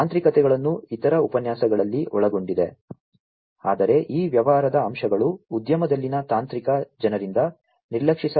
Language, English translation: Kannada, The technicalities are covered in the other lectures, but these business aspects are also something that cannot be ignored by the technical folks in the industry